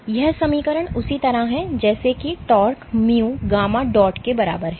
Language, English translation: Hindi, So, this equation is same as writing tau is equal to mu gamma dot